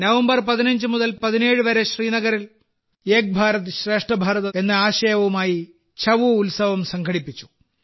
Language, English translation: Malayalam, 'Chhau' festival was organized in Srinagar from 15 to 17 November with the spirit of 'Ek Bharat Shreshtha Bharat'